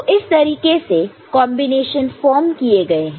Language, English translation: Hindi, So, that is how the combinations are formed